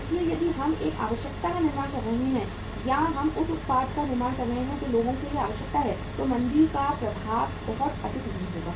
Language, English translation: Hindi, So if we are manufacturing a necessity or we are manufacturing the product which is a necessity for the people, impact of the recession will not be very high